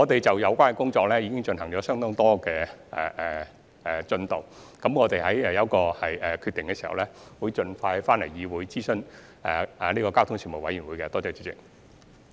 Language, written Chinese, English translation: Cantonese, 這些工作已有相當進度，待我們做好決定後，會盡快回來諮詢交通事務委員會。, Considerable progress has been achieved in this respect . We will come back to consult the Panel as soon as the decision is made